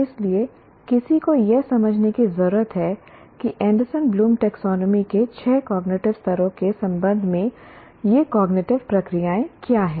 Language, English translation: Hindi, So, one needs to understand what are these cognitive processes in relation to the six cognitive levels of the Anderson Bloom taxonomy